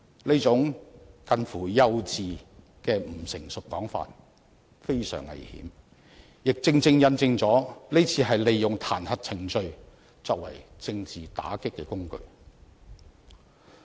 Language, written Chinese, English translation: Cantonese, 這種近乎幼稚的不成熟說法非常危險，亦正正印證了這次是利用彈劾程序作為政治打擊的工具。, This kind of remark which is immature or even close to naïve is very dangerous; it well illustrates that the impeachment procedure is being exploited as a tool of political attack